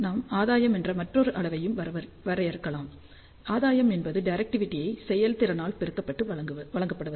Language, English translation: Tamil, We also define another quantity which is gain gain is given by efficiency multiplied by directivity